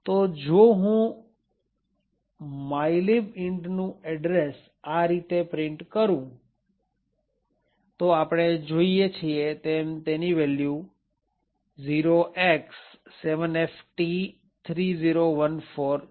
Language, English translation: Gujarati, So, if I print the address of mylib int as follows, we see that it has the value X7FT3014